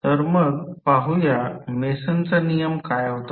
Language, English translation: Marathi, So, let us see what was the Mason’s rule